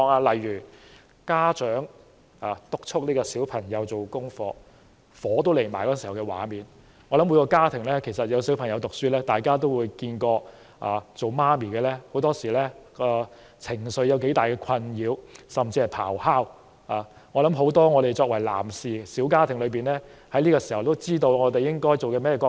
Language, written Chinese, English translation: Cantonese, 例如家長督促孩子做功課，氣上心頭的火爆場面，我想每個家庭在小朋友讀書時期，也會看過當母親的情緒受到多大困擾，甚至是咆哮如雷，我想作為小家庭的男士們，這個時候也應該知道我們要擔當甚麼角色。, For instance there is a heated scene in which the parents get angry when they urge their children to do homework . I believe school - age children in every family have seen their mothers get angry . I believe as the man in the family fathers should know what to do at this moment